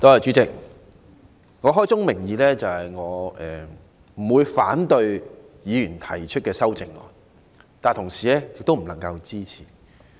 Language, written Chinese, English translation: Cantonese, 主席，開宗明義，我不會反對議員提出的修正案，但同時亦不能支持。, Chairman let me state clearly from the outset that I will not oppose the amendments proposed by Members but neither will I support them